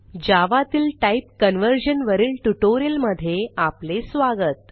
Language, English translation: Marathi, Welcome to the spoken tutorial on Type Conversion in Java